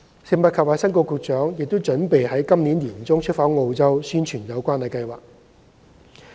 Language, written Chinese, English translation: Cantonese, 食物及衞生局局長亦已計劃於今年年中出訪澳洲宣傳有關計劃。, The Secretary for Food and Health has also planned to visit Australia in the middle of this year to promote the scheme